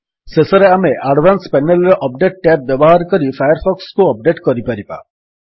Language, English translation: Odia, Lastly, we can update Firefox using the Update tab in the Advanced panel